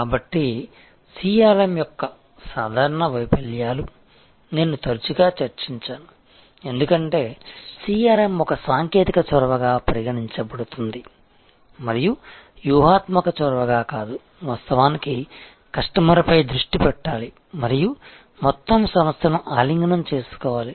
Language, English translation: Telugu, So, common failures of CRM has I have been discussing is often, because CRM is viewed as a technology initiative and not as a strategic initiative that actually must have a focus on the customer and must embrace the entire organization